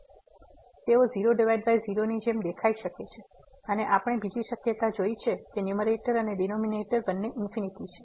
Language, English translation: Gujarati, So, they may appear like in by we have just seen the other possibility is that the numerator and denominator both are infinity